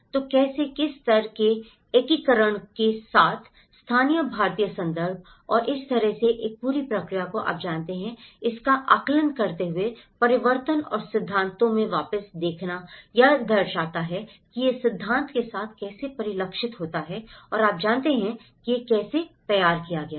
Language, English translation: Hindi, So, how, what level of integration with the local Indian context and that is how this whole process is looked at you know, assessing the transformation and looking back into the theories reflecting how it is reflected with the theory and you know, that is how it has been formulated